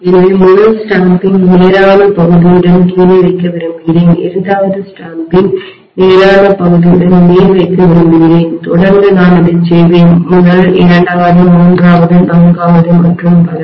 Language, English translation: Tamil, So I would like to put the first stamping with the straight portion at the bottom, I would like to put the second stamping with the straight portion at the top and vice versa, continuously I will do that, first, second, third, fourth and so on